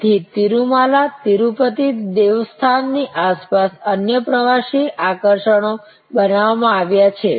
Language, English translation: Gujarati, So, there are other tourist attractions created around Tirumala Tirupati Devasthanam